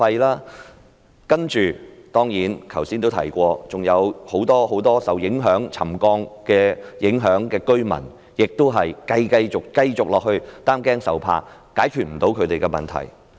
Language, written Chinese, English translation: Cantonese, 再者，正如我剛才也說，還有很多受沉降影響的居民繼續要擔驚受怕，他們的問題無法得到解決。, Moreover as I said just now many residents affected by the occurrence of settlement would go on living in fear and anxiety for their problem would not be resolved